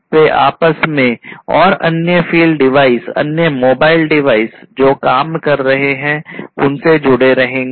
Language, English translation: Hindi, They will be connected between themselves, they will be connected between themselves, and other field devices other mobile devices, other devices that are operating and so on